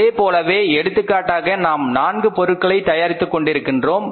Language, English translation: Tamil, Similarly we are manufacturing for example four products